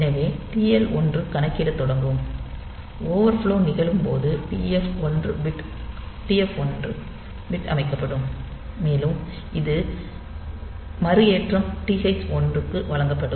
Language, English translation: Tamil, So, TL1 it will be starting to upcount and when that overflow occurs, then this TF1 bit will be set and this reload will also be given to TH 1